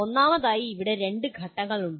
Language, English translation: Malayalam, First of all there are two steps here